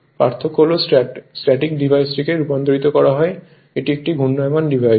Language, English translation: Bengali, The difference is transforming the static device it is a will be a rotating device